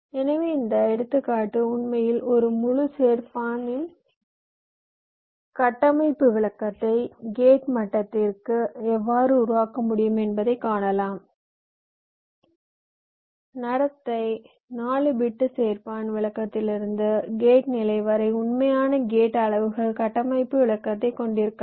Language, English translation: Tamil, these example actually shows you that how we can create a structural description of a full adder down to the gate level from the behavior four bit, add a description down to the gate level, you can have a pure gate levels structural description